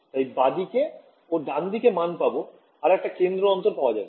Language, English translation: Bengali, So, that I have a value on the left and the right I can do centre differences